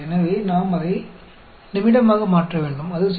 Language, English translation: Tamil, So, we need to convert that into minute; that will be 0